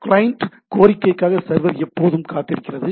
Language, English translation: Tamil, The server is always waiting for a client to be request